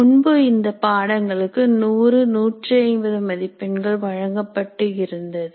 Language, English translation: Tamil, The courses earlier were characterized by the marks like 100 marks, 150 marks and so on